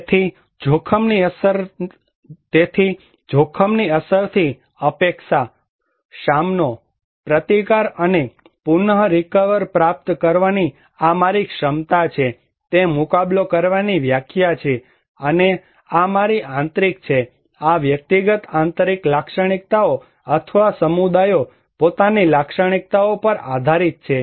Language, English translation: Gujarati, So, this is my capacity to anticipate, cope with, resist and recover from the impact of hazard is the defining idea of coping, and this is my internal, this depends on individual internal characteristics or communities own characteristics